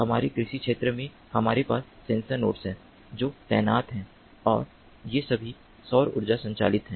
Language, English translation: Hindi, in our agricultural field, we have sensor nodes that are deployed and these are all solar powered